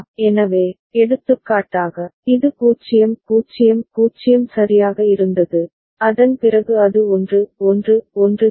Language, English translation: Tamil, So, for example this was 0 0 0 right, after that it has gone to 1 1 1 ok